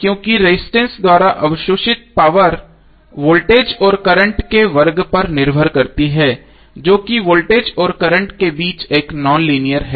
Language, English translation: Hindi, Because power absorb by resistant depend on square of the voltage and current which is nonlinear relationship between voltage and current